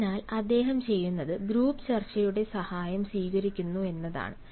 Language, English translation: Malayalam, so what he does is he actually take the help of group discussion